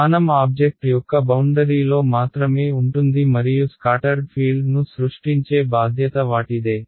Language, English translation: Telugu, The location is only on the boundary of the object and they are responsible for creating the scattered field